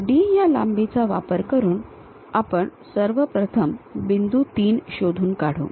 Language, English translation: Marathi, So, with D length, we will first of all locate point 3